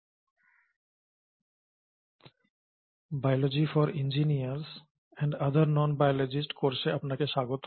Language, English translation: Bengali, Welcome to this course “Biology for Engineers and other Non Biologists”